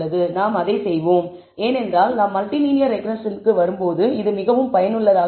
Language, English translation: Tamil, And we will continue the we will do that also because that is very useful when we come to multilinear regression